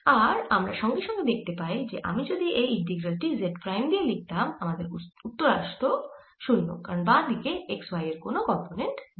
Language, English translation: Bengali, we can immediately see that if i write this integral with z prime, i know that the answer is going to be zero because on the left hand side there's no component in the x y plane